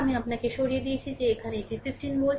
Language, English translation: Bengali, I showed you that here it is 15 volt right